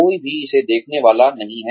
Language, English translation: Hindi, Nobody is going to look at it